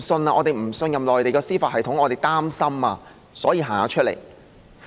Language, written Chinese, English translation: Cantonese, 我們不信任內地的司法系統，我們感到擔心，所以出來參加遊行。, We distrust the judicial system of the Mainland and we feel anxious so we participated in the procession